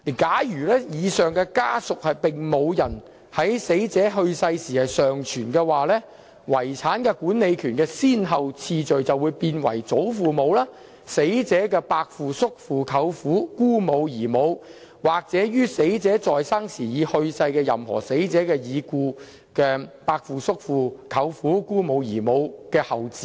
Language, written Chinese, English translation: Cantonese, 假如以上家屬並無人在死者去世時尚存，遺產管理權的先後次序便為：祖父母、死者的伯父、叔父、舅父、姑母及姨母，或於死者在生時已去世的任何死者已故的伯父、叔父、舅父、姑母、姨母的後嗣等。, If no person in any of the family members mentioned has survived the deceased then the priority for applying for a grant to administration is grandparents uncles and aunts of the deceased or the issue of any deceased uncle or aunt of the deceased who has died during the lifetime of the deceased